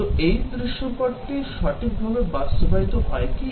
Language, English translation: Bengali, So, whether this scenario is correctly implemented